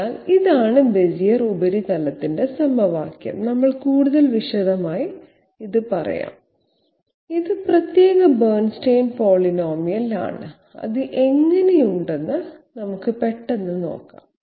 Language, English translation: Malayalam, So this is the equation of the Bezier surface, we will be taking up in more detail, this is the particular you know Bernstein polynomial and let us have a quick look what it looks like